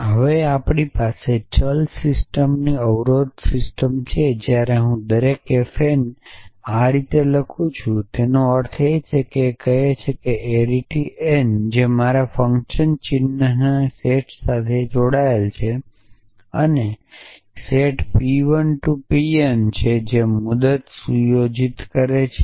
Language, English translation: Gujarati, Now, we have variable system constraint system and therefore, every f n when I write f n like this it means this says arity n belonging to my set of function symbols and a set p 1 p n belonging to set off term